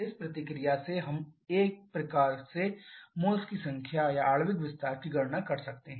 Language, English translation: Hindi, So, we have balance this reaction from this reaction we can calculate the number of moles or the molecular expansion in a way